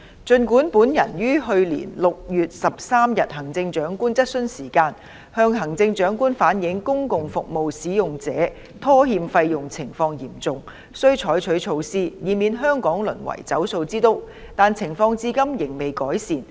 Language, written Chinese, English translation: Cantonese, 儘管本人於去年6月13日行政長官質詢時間，向行政長官反映公共服務使用者拖欠費用情況嚴重，須採取措施以免香港淪為"走數之都"，但情況至今未見改善。, Although I had relayed to the Chief Executive at the Chief Executives Question Time held on 13 June last year that given the serious situation of defaults on payments for public services by service users it was necessary to adopt measures to prevent Hong Kong from becoming the capital of defaults on payments the situation has not been improved so far